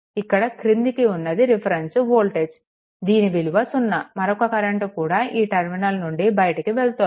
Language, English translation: Telugu, So, reference voltage is 0 so, another current actually leaving this terminal